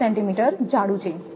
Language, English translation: Gujarati, 5 centimeter thick